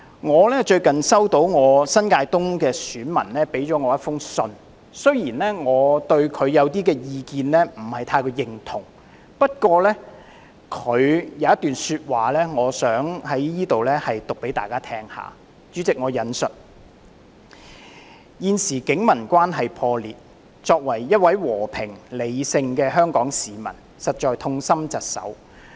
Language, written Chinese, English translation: Cantonese, 我最近收到一封來自我選區新界東的選民的信件，雖然我不太認同他的部分意見，不過他有一段說話，我想在此讀給大家聽："現時警民關係破裂，作為一位和平、理性的香港市民實在痛心疾首。, Recently I received a letter from a voter in my constituency of New Territories East . While I do not quite agree with some of his views there is a passage in his letter that I wish to read out here to Members I quote As a peaceful and rational member of the Hong Kong public I bitterly lament the current breakdown of relations between the Police and the public . Posts expressing the feelings of quite a number of frontline police officers have been circulated online